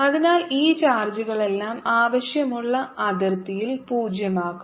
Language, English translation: Malayalam, so all these set of charges make potential zero at the desire boundary